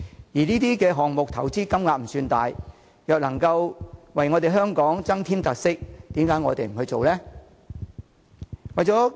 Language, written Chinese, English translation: Cantonese, 事實上，這些項目的投資金額並不算大，若能為香港增添特色，又何樂而不為呢？, In fact the amount of money to be invested in these projects is not that big . If investing in these projects can help enrich Hong Kongs features why not do so?